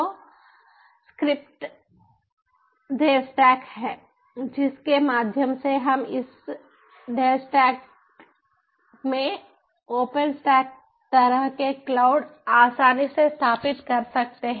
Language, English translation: Hindi, so there are script devstack through which we can easily install the ah ah, install the cloud, like all this open stack ah